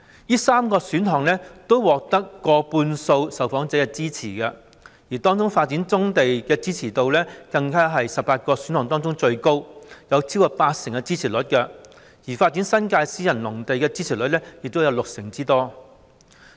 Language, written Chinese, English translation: Cantonese, 這3個選項都獲得過半數受訪者的支持，當中發展棕地的支持度更是在18個選項當中最高，獲得超過八成的支持率，而發展新界私人農地的支持率亦有六成之高。, These three options all received the support from more than half of the respondents . Among them the support rate for the development of brownfield sites at more than 80 % is the highest among the 18 options and the development of private agricultural lands in the New Territories also has a support rate of 60 %